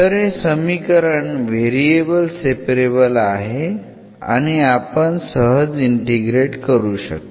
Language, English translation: Marathi, So, this equation is variable separable which we can easily do and then we can integrate it